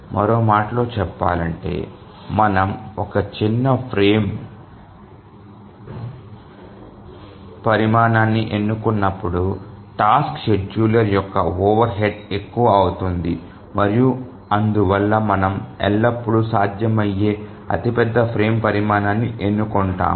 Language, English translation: Telugu, Or in other words, the overhead of the task scheduler becomes more when we choose a smaller frame size and therefore we always choose the largest frame size that is possible